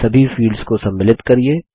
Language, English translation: Hindi, Include all fields